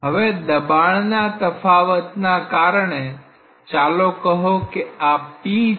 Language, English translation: Gujarati, Now, because of this difference in pressure let us say this is p